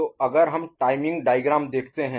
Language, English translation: Hindi, So, if will look at a timing diagram, right